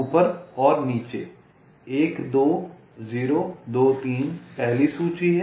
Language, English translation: Hindi, one, two, zero, two, three is a first list